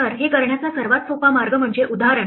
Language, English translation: Marathi, So, the easiest way to do this is by example